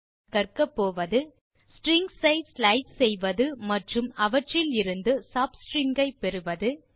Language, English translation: Tamil, At the end of this tutorial, you will be able to, Slice strings and get sub strings out of them